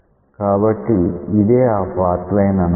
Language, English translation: Telugu, So, let us write the path line